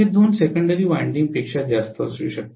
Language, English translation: Marathi, It can be more than two secondaries